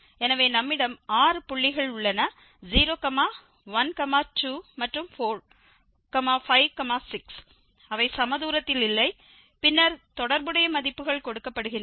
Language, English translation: Tamil, So, we have six points 0, 1, 2 and the 4, 5, 6 they are also not equidistant and then corresponding values are given